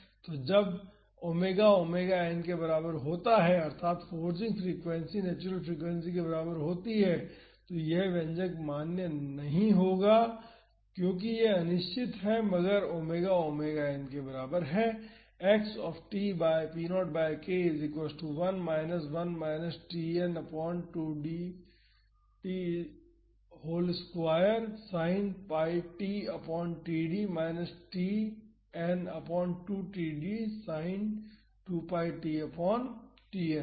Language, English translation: Hindi, So, when omega is equal to omega n that is the forcing frequency is equal to the natural frequency, this expression is not valid because this is indeterminate if omega is equal to omega n